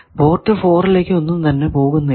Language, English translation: Malayalam, How much is coming out of port 4